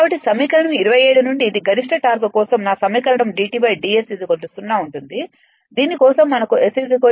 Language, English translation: Telugu, So, from equation 27 this is my equation for maximum torque d T upon d S is equal to 0 is equal for which we will get S is equal to S max T